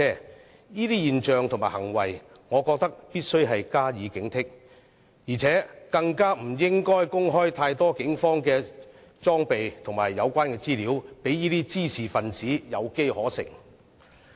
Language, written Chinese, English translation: Cantonese, 對於這種現象和行為，我認為必須加以警惕，更不應該公開太多警方的裝備和資料，讓滋事分子有機可乘。, Regarding such kind of phenomenon and behaviour I think we must stay alert . We should not make available too much information about the Polices equipment lest troublemakers may exploit its weaknesses